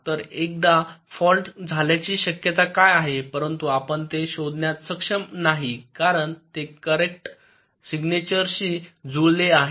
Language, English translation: Marathi, so what is the probability that a fault has occurred but we are not able to detect it because it has matched to the correct signature